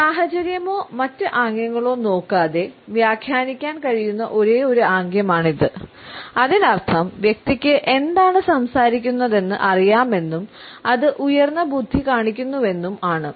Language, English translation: Malayalam, This is probably the only gesture that can be interpreted without looking at the situation or other gestures, it means that the person knows what he is talking about and it shows high intellect